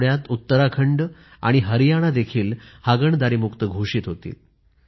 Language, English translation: Marathi, Uttarakhand and Haryana have also been declared ODF, this week